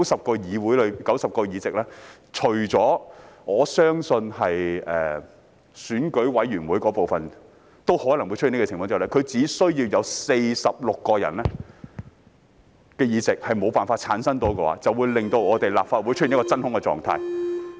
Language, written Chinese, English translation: Cantonese, 便是在90個議席當中——我相信選舉委員會的部分也可能會出此情況——只要有46個議席無法產生，便會令立法會出現真空狀態。, Among the 90 seats―and I believe this may also happen in the Election Committee―if only 46 seats are not returned there will be a vacuum in the Legislative Council